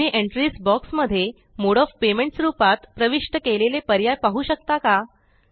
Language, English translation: Marathi, Can you see the options that we entered as Mode of Payments in the Entries box